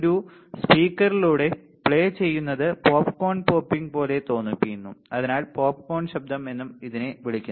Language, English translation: Malayalam, And played through a speaker it sounds like popcorn popping, and hence also called popcorn noise all right